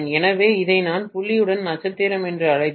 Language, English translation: Tamil, So, if I call this as star with the dot